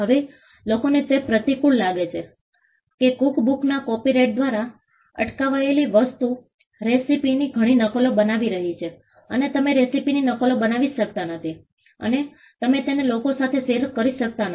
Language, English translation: Gujarati, Now, some people find it counterintuitive that in a cookbook what is prevented by way of a copyright is making multiple copies of the recipe you cannot make copies of the recipe and you cannot share it with people